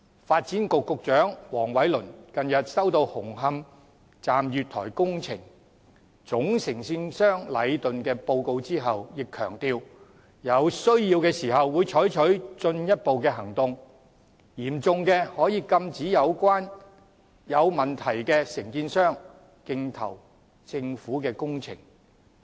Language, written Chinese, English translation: Cantonese, 發展局局長黃偉綸近日收到紅磡站月台工程總承建商禮頓建築有限公司的報告後，也強調有需要時會採取進一步的行動，於情況嚴重時可以禁止有問題的承建商競投政府的工程。, The Secretary for Development Michael WONG has recently received a report from Leighton Contractors Asia Limited the main contractor of works at the platforms of Hung Hom Station . He emphasized that further actions would be taken where necessary and if the situation has become serious contractors with performance problems would be forbidden from bidding government projects